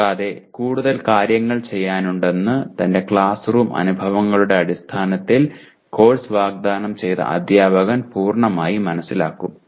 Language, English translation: Malayalam, And the instructor who offered the course will fully understand based on his classroom experiences what more things to be done